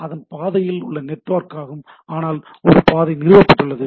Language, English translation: Tamil, That is underlying network, but there is a path established